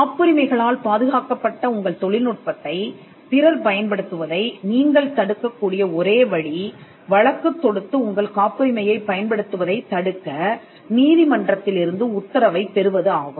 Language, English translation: Tamil, The only way you can stop a person from using your technology which is protected by patents is to litigate and to get an order from the court restraining that person from using your patent